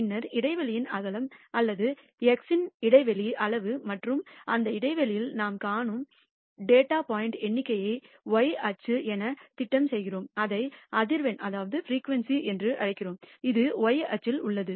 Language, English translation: Tamil, And then we plot the width of the interval or the interval size of the x axis and the number of data points we see in that interval as the y axis, we call it the frequency and that is on the y axis